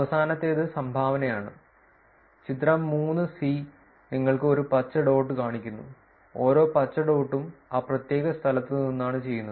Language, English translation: Malayalam, And the last one is dones, the figure 3 shows you green dot, every green dot is a done from that particular locations